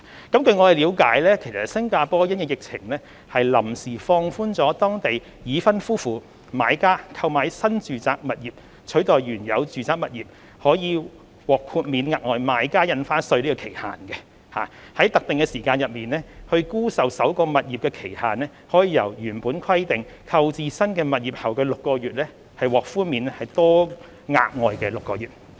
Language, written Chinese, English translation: Cantonese, 據我們了解，新加坡因應疫情，臨時放寬當地已婚夫婦買家購買新住宅物業取代原有住宅物業可獲豁免額外買家印花稅的期限，在特定的時間內沽售首個物業的期限，由原本規定購置新物業後的6個月獲寬免多額外6個月。, As far as we know because of the epidemic the Singapore Government has tentatively relaxed the time requirement on exempting the additional buyers stamp duty for local married couples who purchase a new residential property to replace their original residential property . Originally if they sell their first property within six months they are exempted from paying the additional buyers stamp duty and they are now given another six months to do so